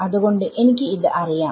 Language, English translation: Malayalam, So, I know this